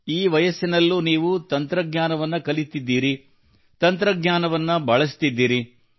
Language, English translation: Kannada, Even at this stage of age, you have learned technology, you use technology